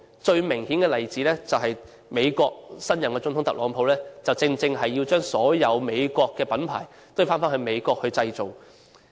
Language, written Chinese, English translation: Cantonese, 最明顯的例子，就是美國新任總統特朗普正正是要將所有美國品牌返回美國本土製造。, The clearest example is effort of the newly - elected United States President Donald TRUMP to make all American brands move their production plants back to the United States